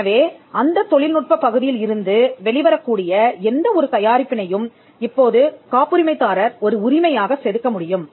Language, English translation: Tamil, So, whatever products that can come out of that technological area can now be carved as a right by the patent holder